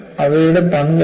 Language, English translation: Malayalam, And what is their role